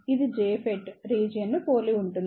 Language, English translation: Telugu, It is similar to the JFET region